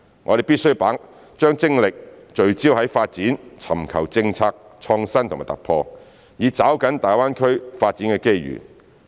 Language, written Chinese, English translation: Cantonese, 我們必須把精力聚焦於發展，尋求政策創新和突破，以抓緊大灣區發展的機遇。, We must focus our efforts on development and pursue policy innovation and breakthroughs to seize the development opportunities of GBA